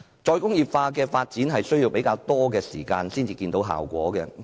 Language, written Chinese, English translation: Cantonese, "再工業化"的發展需要較長時間才見效果。, The development of re - industrialization will take more time to achieve results